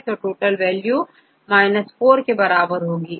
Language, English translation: Hindi, So, total value equal to 4